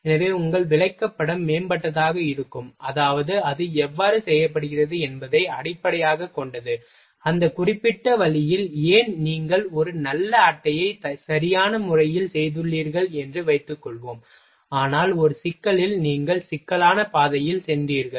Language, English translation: Tamil, So, that your chart will get improved ok, means based how is it being done why in that particular way ok, suppose that you have made a good chat in a right manner, but in a complex you have you went through complex route